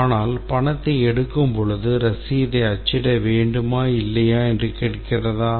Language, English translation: Tamil, But let's say during the withdrawal cash it asks whether to print a receipt or not